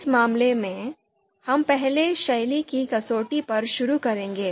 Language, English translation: Hindi, So in this case, we will first start with this style criterion